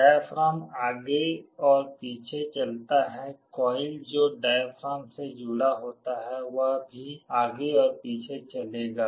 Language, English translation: Hindi, The diaphragm moves back and forth, the coil that is attached to a diaphragm will also move back and forth